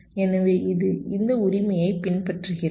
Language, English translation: Tamil, so it follows like this, right